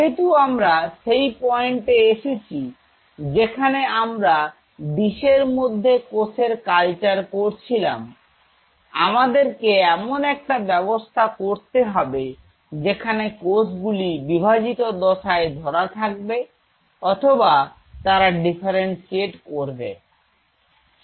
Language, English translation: Bengali, So, since that brings us to a point while we are culturing cells in a dish we have to make a call are we holding the cell type on a dividing phase or they will be differentiated